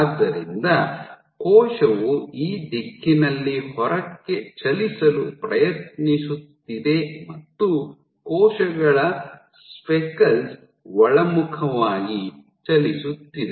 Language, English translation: Kannada, So, the cell is trying to move outward in this direction the cells speckles are moving inward